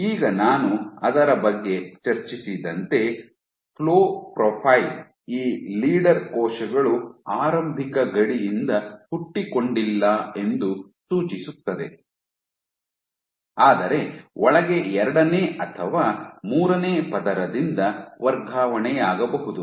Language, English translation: Kannada, Now, the flow profile I discussed about suggests that leader cells, these leader cells do not originate from the initial border, but may get transferred from the second or third layer inside